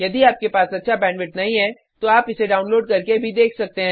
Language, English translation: Hindi, If you do not have good bandwith , you can download and watch it